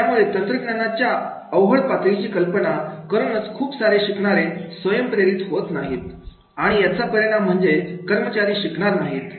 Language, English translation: Marathi, So that by imaging the difficulty level of the technology, many learners, they are not self motiv motivated and as a result of which the employees will not learn